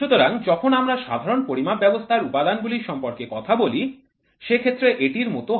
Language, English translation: Bengali, So, when we talk about the elements of generalized measuring systems